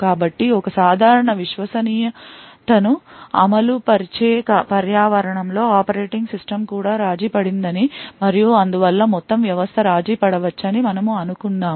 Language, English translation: Telugu, So, in a typical Trusted Execution Environment we assume that the operating system itself is compromised and thus the entire system may be compromised